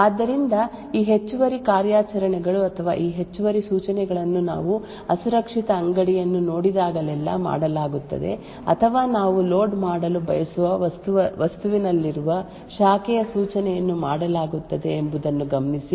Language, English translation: Kannada, So, note that these extra operations or these extra instructions are done every time we see an unsafe store or a branch instruction present in the object that we want to load